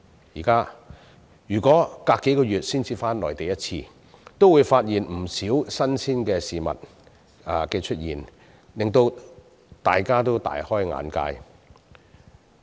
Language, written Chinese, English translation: Cantonese, 現在如果相隔數月才返回內地一次，便會發現有不少新鮮事物出現，令大家大開眼界。, Nowadays people who travel to the Mainland once every few months will discover many new things during every visit and this is simply an eye - opening experience for them